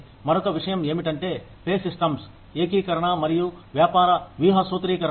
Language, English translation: Telugu, The other thing is, integration of pay systems and business strategy formulation